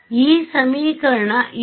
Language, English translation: Kannada, This equation over here